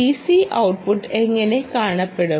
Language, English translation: Malayalam, how does the d c output look